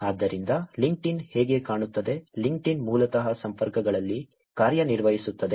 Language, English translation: Kannada, So, this is how LinkedIn looks, LinkedIn basically works on connections